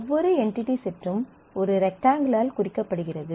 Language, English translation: Tamil, Every entity set is represented by a rectangle